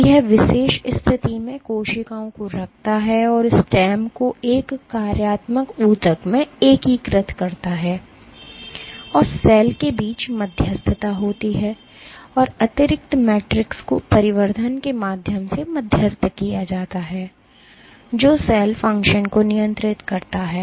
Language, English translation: Hindi, So, it holds cells in particular positions and integrates stem into a functional tissue and there are interactions between the cell and the extracellular matrix mediated via additions which regulate cell function